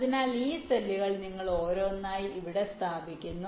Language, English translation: Malayalam, so this cells you are placing here one by one